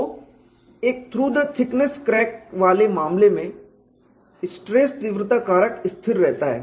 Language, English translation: Hindi, So, in the case of a through the thickness crack stress intensity factor remain constant